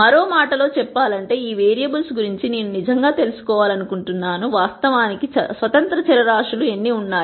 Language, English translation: Telugu, In other words, I would really like to know of all these variables, how many are actually independent variables